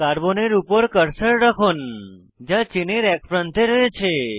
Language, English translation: Bengali, Place the cursor on the carbon present at one end of the chain